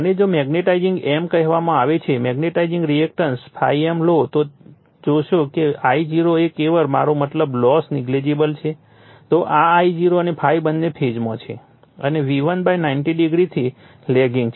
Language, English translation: Gujarati, And if you take the magnetizing m call magnetizing reactance right x m then you will see that I0 is purely I mean loss is neglected then this I0 and ∅ both are in phase and lagging from V1 / 90 degree